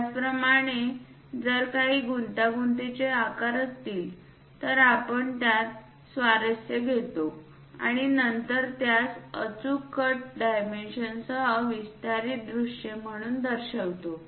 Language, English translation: Marathi, Similarly, if there are any intricate shapes we encircle the area of interest and then show it as enlarged views with clear cut dimensions